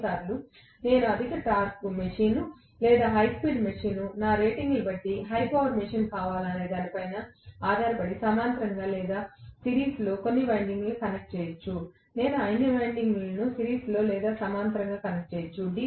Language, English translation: Telugu, Sometimes I may still connect some of the windings and parallel or series depending upon whether I want a high torque machine or high speed machine, high power machine depending upon my ratings, I might connect all the windings in series or parallel